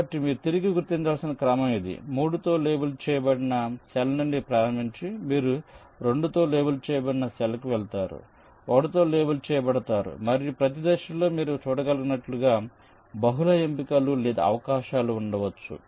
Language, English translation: Telugu, so this is the sequence you need to be back traced: starting from a cell labeled with three, you go to a cell labeled with two, labeled with one and so on, and, as you can see, at each step there can be multiple choices or possibility